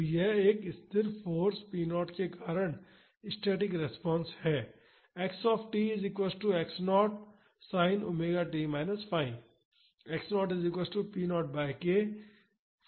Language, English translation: Hindi, So, this is the static response due to a constant force p naught